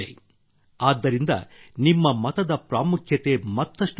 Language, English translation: Kannada, That is why, the importance of your vote has risen further